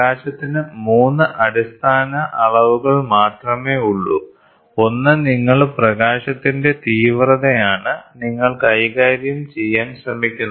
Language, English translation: Malayalam, So, light has only 3 basic dimensions, one is you try to play with the intensity of light